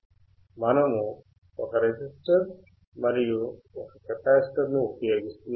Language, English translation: Telugu, We are using one resistor and one capacitor